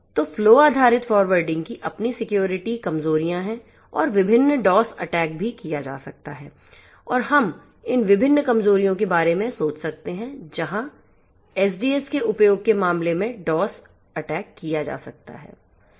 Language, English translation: Hindi, So, flow based forwarding has its own security vulnerabilities and also different DoS attacks can be form can be performed and we can think of these different vulnerabilities where the dos attacks can be performed in the case of use of SDN and so on